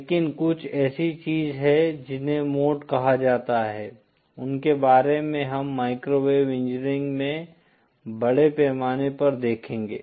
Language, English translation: Hindi, But there is something called modes, which we have to deal extensively when we are in microwave engineering